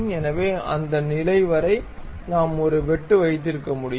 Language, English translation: Tamil, So, up to that level we can have a cut